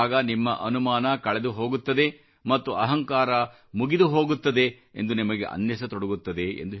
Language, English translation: Kannada, Then, you will see that your doubt is waning away and your ego is also getting quelled